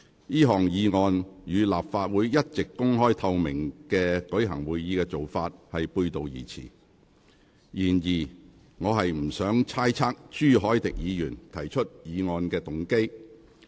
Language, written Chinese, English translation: Cantonese, 這項議案與立法會一直公開透明舉行會議的做法背道而馳。然而，我不想猜測朱凱廸議員提出議案的動機。, This motion runs counter to the Councils long - standing practice of holding meetings in an open and transparent manner but I do not want to speculate on Mr CHU Hoi - dicks motive for moving the motion